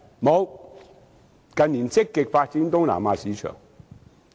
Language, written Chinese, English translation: Cantonese, 沒有，近年更在香港積極發展東南亞市場。, No . They have even remained in Hong Kong in recent years to actively develop the Southeast Asian market